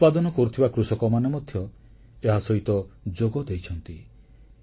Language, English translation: Odia, Farmers producing grains have also become associated with this trust